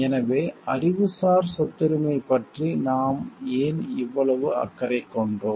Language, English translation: Tamil, So, why we were so concerned about intellectual property